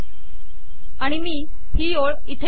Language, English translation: Marathi, So let me put this back here